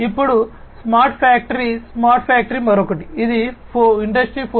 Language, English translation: Telugu, Now, smart factory smart factory is another one which is talked a lot in the context of Industry 4